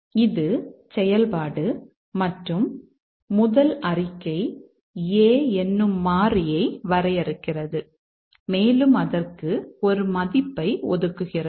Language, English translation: Tamil, This is a function and the first one, first statement assigns a value to A